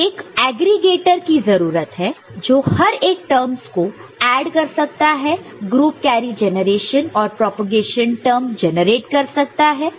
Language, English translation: Hindi, So, you need to have an aggregator to add each of these terms need to generate this group carry generation group carry propagation term